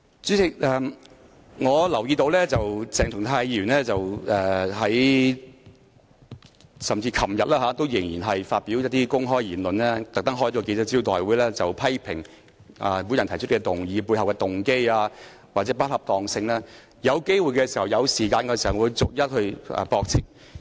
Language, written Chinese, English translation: Cantonese, 主席，我留意到鄭松泰議員昨天仍在發表一些公開言論，並特別召開記者招待會批評我提出這項議案背後的動機或不恰當性，當我有機會和時間時會逐一駁斥。, President I notice that Dr CHENG Chung - tai still made some remarks in the public yesterday and specially convened a press conference to criticize the motive or inappropriateness of this motion proposed by me . When I have the opportunity and time I will refute them one by one